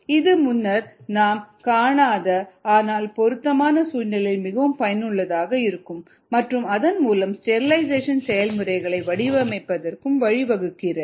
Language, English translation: Tamil, it makes it a lot more useful in situations that has not been seen earlier relevant situation that have not been seen earlier, and thereby it leads to design of a sterilization processes